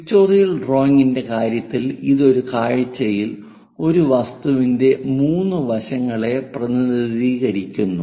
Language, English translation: Malayalam, In the case of pictorial drawing it represents 3 sides of an object in one view